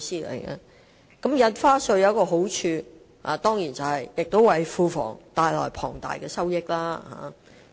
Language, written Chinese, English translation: Cantonese, 開徵新增印花稅有其好處，就是能為庫房帶來龐大收益。, The advantage of introducing new stamp duties is that it can bring in substantial revenue to the public coffers